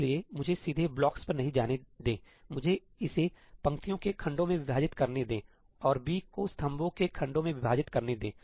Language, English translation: Hindi, So, let me not directly jump to blocks; let me divide this up into blocks of rows and let me divide B up into blocks of columns